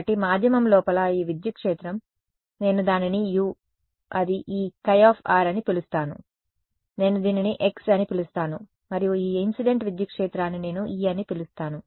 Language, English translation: Telugu, So, this electric field inside the medium, I am going to call it u it this chi r I am going to call it x, and this incident electric field I am going to call it small e ok